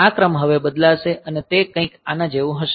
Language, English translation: Gujarati, So, this order will now change and it will be something like this